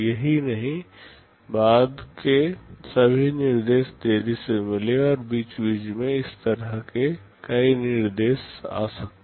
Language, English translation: Hindi, Not only this, all subsequent instructions got delayed and there can be many such instructions like this in between